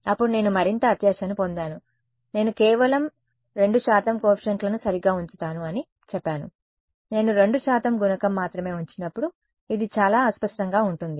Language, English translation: Telugu, Then I have got even greedier, I said let me keep only 2 percent coefficients right; When I keep only 2 percent coefficient this is very fuzzy